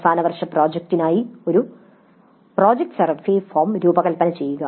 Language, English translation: Malayalam, Design a project survey form for the final year project